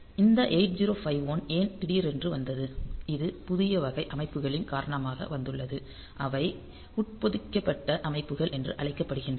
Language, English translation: Tamil, So, why this 8051 all on a sudden came so this is this has come because of the new type of systems that we have they are known as embedded systems